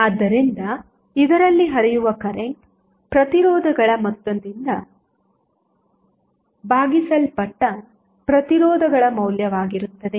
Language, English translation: Kannada, So, the current flowing in this would be the value of resistances divided by the sum of the resistances